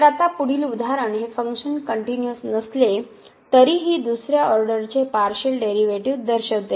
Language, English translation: Marathi, So now the next example it shows the existence of the second order partial derivative though the function is not continuous